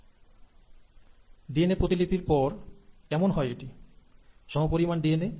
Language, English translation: Bengali, So once the DNA has been duplicated, how is it that the same amount of DNA with minimal errors